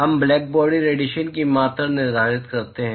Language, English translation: Hindi, We quantify blackbody radiation